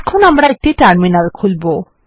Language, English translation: Bengali, Let us switch back to the terminal